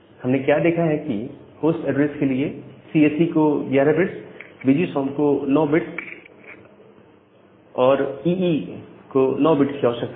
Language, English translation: Hindi, And what we have seen that CSE requires 11 bits, VGSOM requires 9 bits, and EE requires 9 bit for their host address